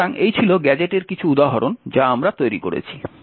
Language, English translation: Bengali, So, these were some of the examples of different gadgets that we have created